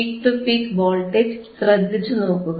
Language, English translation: Malayalam, You see the peak to peak voltage it is back to 4